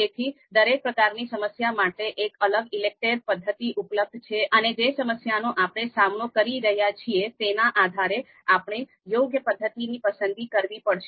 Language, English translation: Gujarati, So for all kinds of problem, all types of problem, different ELECTRE methods are available, and depending on the problem that we are taking, we will have to pick the method appropriately